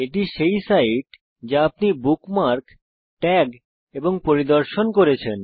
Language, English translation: Bengali, * These are also the sites that youve bookmarked, tagged, and visited